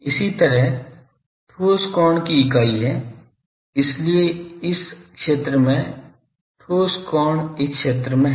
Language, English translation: Hindi, Similarly , the unit of solid angle is , so solid angle suppose